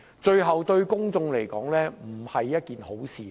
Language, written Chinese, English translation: Cantonese, 最後對公眾來說也並非好事。, Eventually this will do no good to the public